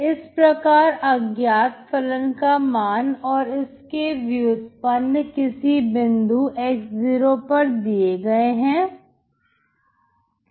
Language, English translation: Hindi, So unknown function value and its derivative is given at some point x0